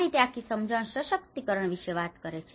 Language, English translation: Gujarati, That is how the whole understanding talks about the empowerment you know